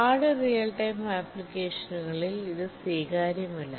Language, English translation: Malayalam, And this becomes unacceptable in hard real time applications